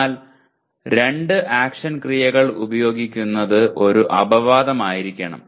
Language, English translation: Malayalam, But using two action verbs should be an exception